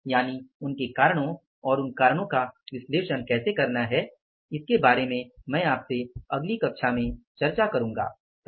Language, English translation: Hindi, So, all this means the reasons for that and how to analyze those reasons I will discuss with you in the next class